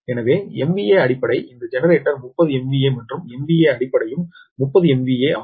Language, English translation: Tamil, so m v a base is this generalized thirty m v a and m v a base is also thirty m v a